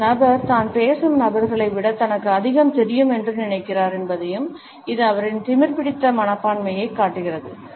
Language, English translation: Tamil, It shows that the person thinks that he knows more than people he is talking to and it also shows arrogant attitude